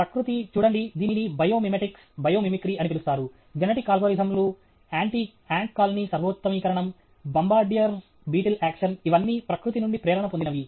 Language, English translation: Telugu, Nature, see, this called biomimitics, biomimicry, the genetic algorithms, ant colony optimization, bombardier beetle action, all these are inspired from nature